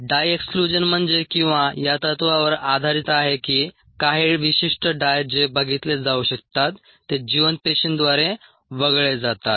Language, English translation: Marathi, the dye exclusion means ah or is based on the principle, that's certain dyes which can be visualized are excluded by living cells